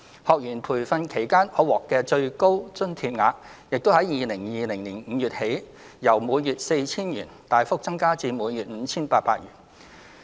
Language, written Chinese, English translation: Cantonese, 學員培訓期間可獲的最高津貼額，亦於2020年5月起由每月 4,000 元，大幅增加至每月 5,800 元。, The maximum amount of monthly allowance per trainee during the training period has substantially increased from 4,000 to 5,800 starting from May 2020